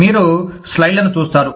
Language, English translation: Telugu, You will get to see, the slides